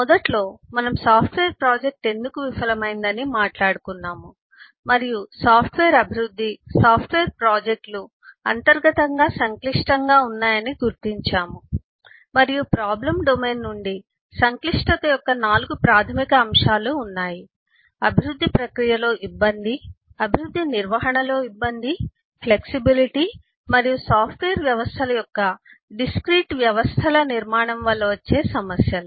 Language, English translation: Telugu, initially we talked about why software project failed and identified that software development, software projects are inherently complex and there are 4 primary elements of complexity coming from the problem domain: the difficulty of uh development process, uh managing development process, the flexibility and eh problems due to the discrete eh systems structure of the software systems